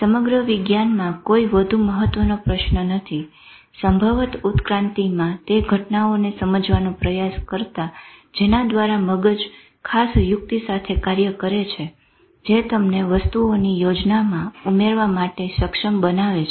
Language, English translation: Gujarati, There is no more important quest in whole of science, probably than the attempt to understand those events in evolution by which brain worked out a special trick that enabled them to add to the scheme of things